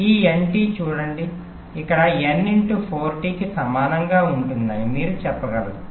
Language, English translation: Telugu, you can say this is approximately equal to n into four t